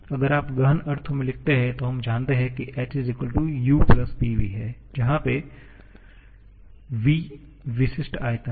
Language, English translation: Hindi, If you write in intensive sense, then we know that H=U+P*specific volume